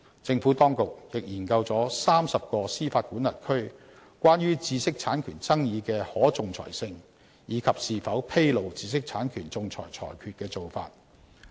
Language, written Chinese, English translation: Cantonese, 政府當局亦研究了30個司法管轄區關於知識產權爭議的可仲裁性，以及是否披露知識產權仲裁裁決的做法。, The Administration has also conducted research on the practice of 30 jurisdictions concerning arbitrability of IPR disputes and the disclosure or non - disclosure of arbitral awards